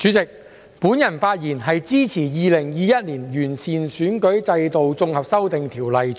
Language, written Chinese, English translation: Cantonese, 代理主席，我發言支持《2021年完善選舉制度條例草案》。, Deputy President I speak in support of the Improving Electoral System Bill 2021 the Bill